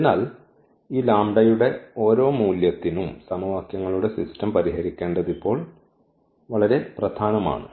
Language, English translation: Malayalam, So, it is very important now and here for each value of this lambda we need to solve the system of equations